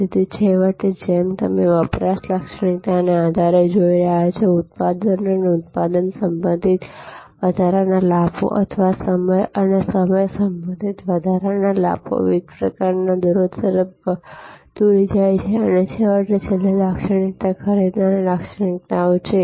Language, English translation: Gujarati, So, ultimately as you are seeing based on consumption characteristics product and product related additional benefits or time and time related additional benefits leads to different kinds of rates and ultimately the last characteristics is buyer characteristics